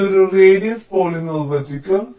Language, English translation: Malayalam, this will define as a radius